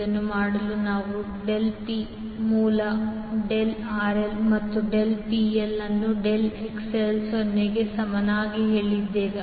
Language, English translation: Kannada, To do this we said del P by del RL and del P by del XL equal to 0